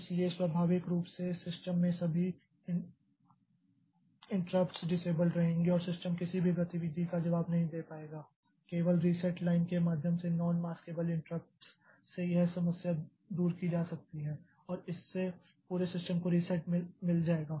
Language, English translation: Hindi, So, naturally all the interrupts in the system will remain disabled and the system will not be able to respond to any activity only way out maybe to do a non maskable interrupt via the reset line and that the whole system will get reset